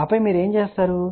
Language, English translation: Telugu, And then what you do